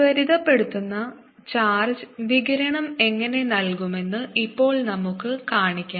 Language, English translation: Malayalam, so now what we want to show is: and accelerating charge gives out radiation